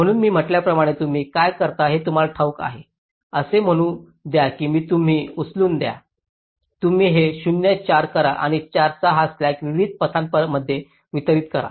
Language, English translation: Marathi, as i said, let say you pick up this, you make this zero four and distribute this slack of four among the different paths